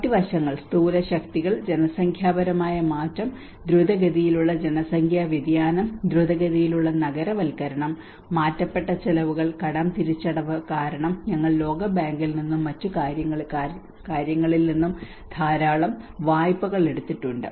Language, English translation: Malayalam, The other aspects are the macro forces, the demographic change you know the rapid population change, rapid urbanisations and the amputation expenditure, the debt repayment because we have been taking lot of loans from world bank and other things